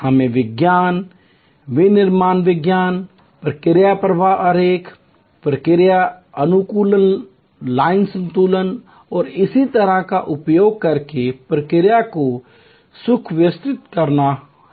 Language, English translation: Hindi, We have to streamline the process using science, manufacturing science, process flow diagram, process optimization, line balancing and so on